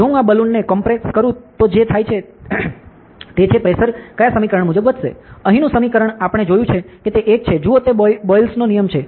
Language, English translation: Gujarati, So, if I compress the balloon what happens is, the pressure will build up according to which equation; the equation over here that we have seen which one is that, see ok, it is the Boyle’s law